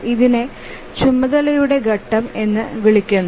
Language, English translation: Malayalam, So, this is called as the phase of the task